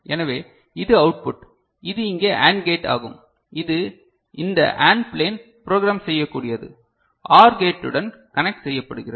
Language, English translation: Tamil, So, this is the output ok, so this is the AND gate over here this AND plane which is programmable and getting connected to OR gate